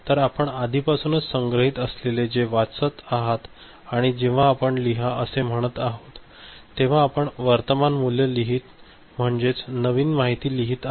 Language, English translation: Marathi, So, you are reading whatever is already stored and when you are saying write, then you are over writing the current value so, you are writing new information ok